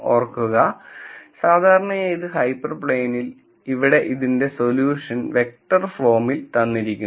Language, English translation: Malayalam, Remember that this hyper plane, would typically have this form here the solution is written in the vector form